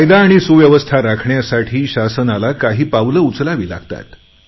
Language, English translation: Marathi, The government has to take some steps to maintain law and order